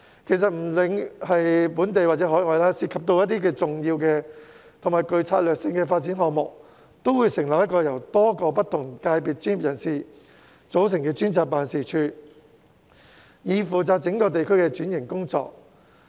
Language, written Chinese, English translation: Cantonese, 其實，不論是本地或海外，凡涉及重要且具策略性的發展項目，往往會成立由各界專業人士組成的專責辦事處，以負責整個地區的轉型工作。, In fact to deal with major and strategically important development projects it is a common practice for Hong Kong or overseas countries to set up designated task force comprised of professionals from all sectors to take up the transformation of an entire district